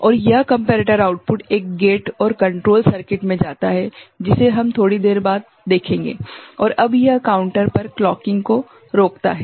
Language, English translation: Hindi, And this comparator output goes to a gate and control circuit, which we shall see little later right and that now inhibits the clocking to the counter ok